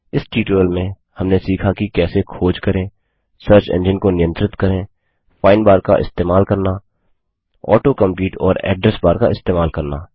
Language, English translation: Hindi, In this tutorial we will learnt how to Use Search, Manage Search Engine,Use the find bar,use Auto compete in Address bar Try this comprehension test assignment